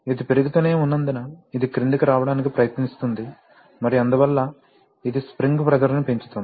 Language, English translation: Telugu, As it is keeping increasing this is trying to come down and therefore, this is going to go up increasing the spring pressure